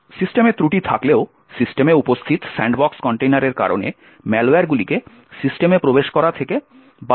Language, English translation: Bengali, Even though the system has flaws, malware is actually prevented from entering into the system due to the sandbox container that is present in the system